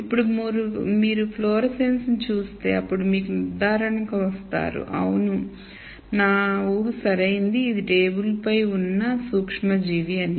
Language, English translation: Telugu, Now if you see fluorescence and then you would come to the conclusion yes my assumption is right this is the microorganism that is also on the table